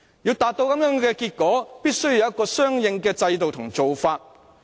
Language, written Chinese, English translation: Cantonese, 要達致這樣的結果，必須有相應的制度和做法。, It takes corresponding systems and practices to achieve these results